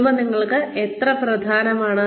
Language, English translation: Malayalam, How important is family to you